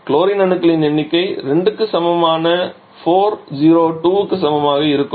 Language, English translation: Tamil, So how much will be the number of chlorine number of chlorine will be equal to 4 0 2 that is equal to 2